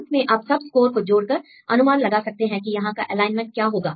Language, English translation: Hindi, And finally you can add the whole scores and then see what will be the probable alignment